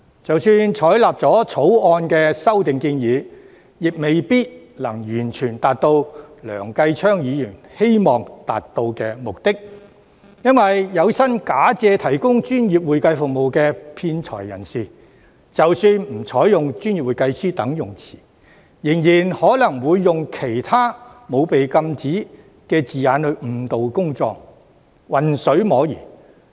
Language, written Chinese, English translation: Cantonese, 即使採納《條例草案》的修訂建議，亦未必能夠完全達到梁繼昌議員希望達到的目的，原因是有心假借提供專業會計服務的騙財人士，即使不採用"專業會計師"等稱謂，仍然可能會用其他沒有被禁止的字眼來誤導公眾，混水摸魚。, Even if the proposed amendments in the Bill are endorsed it may not necessarily fully achieve the objectives as desired by Mr Kenneth LEUNG . Though fraudsters who intend to defraud in the name of providing professional accounting services are prohibited from using descriptions such as professional accountant they can still other unrestricted terms to mislead members of the public and fish in troubled waters